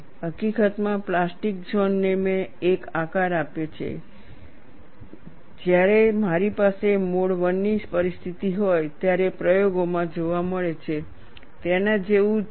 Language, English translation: Gujarati, In fact the plastic zone I have given a shape which is very similar to what is seen in experiments when I am having a mode 1 situation that representation is given here